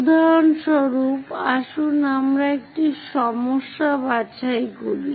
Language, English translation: Bengali, For example, let us pick a problem